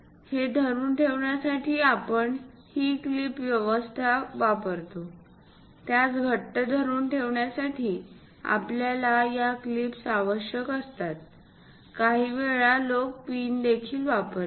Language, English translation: Marathi, To hold it, we use this clip arrangement ; to hold it tightly, we require these clips, sometimes people use pins also